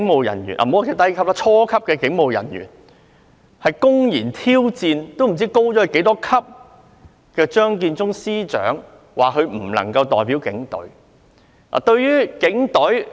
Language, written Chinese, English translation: Cantonese, 一些初級警務人員公然挑戰高級很多的張建宗司長，指他不能夠代表警隊。, Some junior police officers openly challenged Chief Secretary for Administration Matthew CHEUNG who is at a much higher rank saying that he could not represent the Police Force